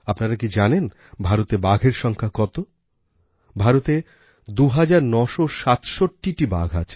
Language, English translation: Bengali, The tiger population in India is 2967, two thousand nine hundred sixty seven